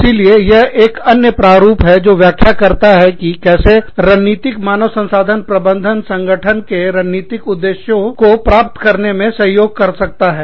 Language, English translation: Hindi, So, this is another model, that explains, how strategic human resources management can help, with the achievement of strategic objectives of the organization